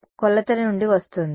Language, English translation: Telugu, Either it will come from measurement